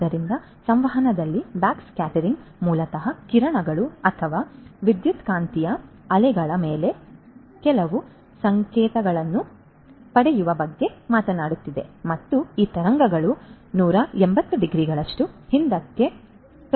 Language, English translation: Kannada, So, backscattering in communication basically talks about in getting certain signals on the rays or the electromagnetic waves and these waves are going to get reflected back 180 degrees